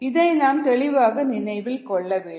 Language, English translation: Tamil, this is something that you need to remember very clearly